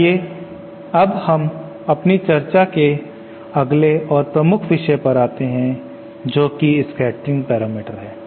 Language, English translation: Hindi, Let us now go to the next and main topic of our discussion here which is the scattering parameters